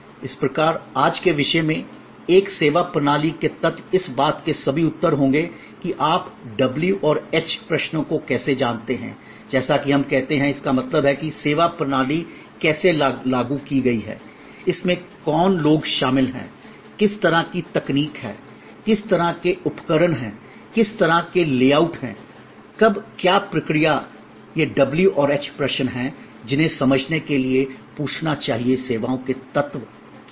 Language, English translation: Hindi, So, in sort come in to today’s topic, elements of a services system will be all the answers to the why how you know the w and h questions as we say; that means, how is the service system implemented, what who are the people who are involved, what kind of technology, what kind of equipment, what layout, when what procedure, these are the w and h questions which as to be ask to understand that what are the elements of services